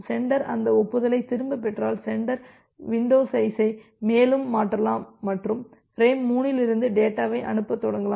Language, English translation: Tamil, If the sender gets back those acknowledgement, then the sender can shift the window further and start transmitting the data from frame 3